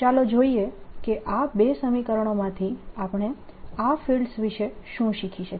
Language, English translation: Gujarati, let us see what we can learn about these fields from these two equations